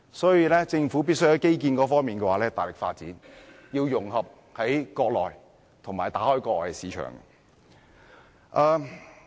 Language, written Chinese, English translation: Cantonese, 所以，政府必須大力發展基建，要融合國內市場和打開國外市場。, Thus the Government must vigorously develop infrastructure so as to integrate Hong Kong into the Mainland markets and open up overseas markets